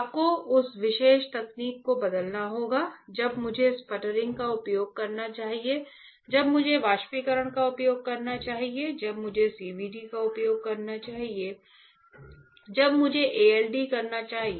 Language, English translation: Hindi, You have to change that particular technique; when I should use sputtering, when I should use evaporation, when I should use CVD right, when I should ALD